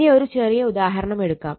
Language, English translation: Malayalam, Ok, so will take a small example of that